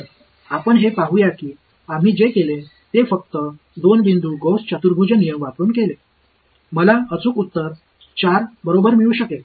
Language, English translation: Marathi, So, let us observe that what we did is by using only at 2 point Gauss quadrature rule, I was able to get the exact answer 4 right